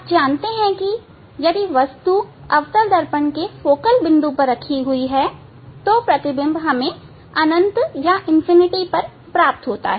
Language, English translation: Hindi, You know that if the object is at the focal point of the concave mirrors then image will be at infinity